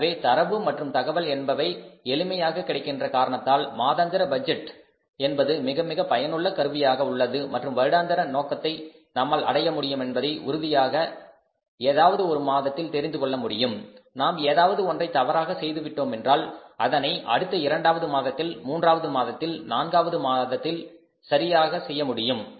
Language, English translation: Tamil, So, with the easy availability of data information, sources of data and the analysis, monthly budgeting is very very useful tool and we come to know that annual objectives certainly would be achieved when if in any month we do anything and it goes wrong then we can do it in the next month second, third, fourth, fifth we have 12 months, we have 12 budgets